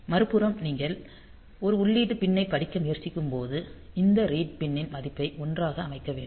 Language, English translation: Tamil, So, when you are trying to read an input pin; so, we have to set this read pin value to 1